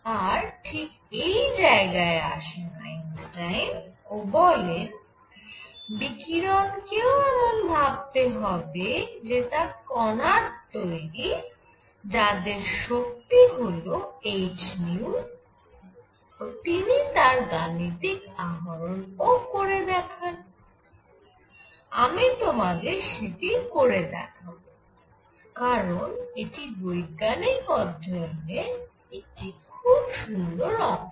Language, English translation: Bengali, And that is where Einstein came in and he said may be radiation should also be treated as this continuous containing particles of energy h nu and he went on to show this I want to do it for you, because this is a beautiful piece of scientific investigation